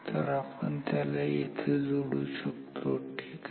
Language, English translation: Marathi, So, we can add it here ok